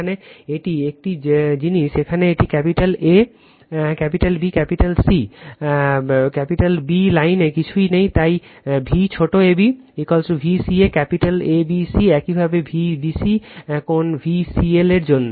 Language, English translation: Bengali, here it is same thing here it is capital A, capital B, capital A, capital B nothing is there in the line, so V small ab is equal to V capital ABC similarly for V bc angle VCL right